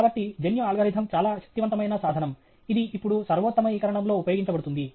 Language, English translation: Telugu, So, genetical algorithm is a very powerful tool now used in optimization okay